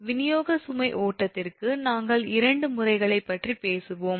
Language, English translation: Tamil, and for the distribution load flow, we will talk about two methods only